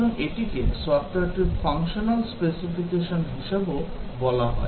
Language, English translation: Bengali, So, this is also called as a functional specification of the software